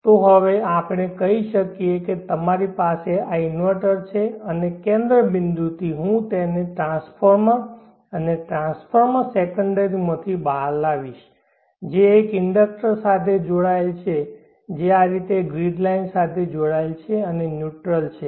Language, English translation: Gujarati, So now let us say that you have this inverter and from the centre point I will bring it out to a transformer and the transformer secondary connected to an inductor which is connected to the grid in this fashion line and in order